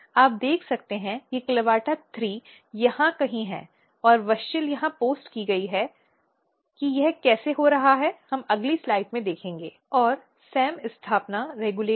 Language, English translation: Hindi, So, you can see that CLAVATA3 are somewhere here and WUSCHEL is post here how this is happening we will see in the next slide